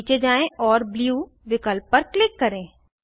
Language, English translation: Hindi, Scroll down and click on Blue option